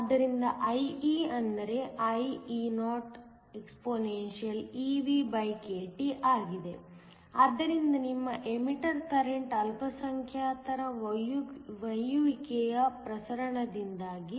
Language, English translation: Kannada, So, IE is IEoexpeVkT, so that your emitter current is due to diffusion of minority carries